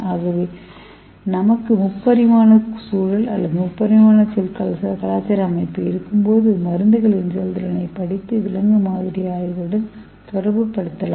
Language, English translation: Tamil, So when we have the 3 dimensional environment or 3 dimensional cell culture we can study the efficiency of drugs and we can correlate it with the animal model studies